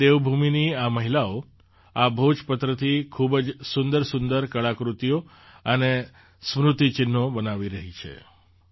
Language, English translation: Gujarati, Today, these women of Devbhoomi are making very beautiful artefacts and souvenirs from the Bhojpatra